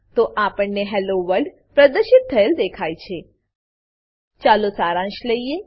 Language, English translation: Gujarati, So we see Hello World displayed Let us summarize